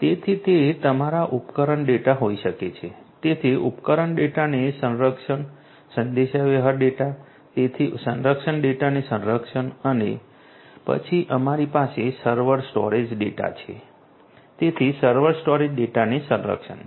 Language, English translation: Gujarati, So it can be your device data, so device data protection communication data, so communication data protection and then we have the server storage data, so server storage data protection